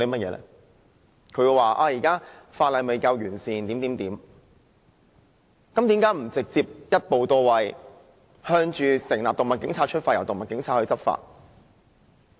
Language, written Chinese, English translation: Cantonese, 既然當局說現時的法例未夠完善，那為何不直接一步到位，朝成立"動物警察"出發，由他們執法？, Now that the authorities say that the existing legislation is imperfect why do they not work towards the establishment of animal police who should be responsible for taking enforcement action so as to directly settle the matter once and for all?